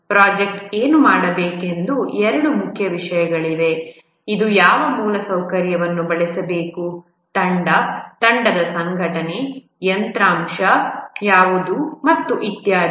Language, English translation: Kannada, These are two main things that what the project needs to do and also what infrastructure it needs to use, what will be the team, team organization, hardware, and so on